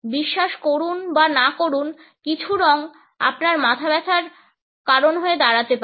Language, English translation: Bengali, Believe it or not some colors can even give you a headache